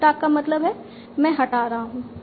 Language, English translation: Hindi, Left arc means I will remove A